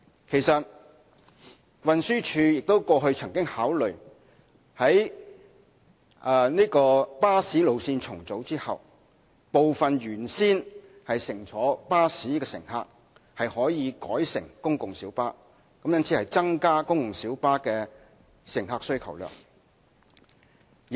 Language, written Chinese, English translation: Cantonese, 其實，運輸署過去曾經考慮在巴士路線重組後，部分原先乘坐巴士的乘客可以改乘公共小巴，以增加公共小巴的乘客需求量。, In fact according to TDs previous consideration upon bus route rationalization some passengers originally taking buses may switch to PLBs resulting in a rise in the passenger demand for PLBs